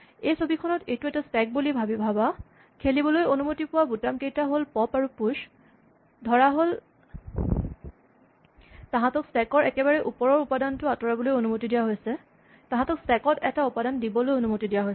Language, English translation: Assamese, In this picture imagine this is a stack and the buttons were allowed to push are pop and push let they are allowed to remove the top elements from the stack; they are allowed to put an element into the stack